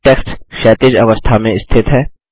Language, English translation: Hindi, Text is placed horizontally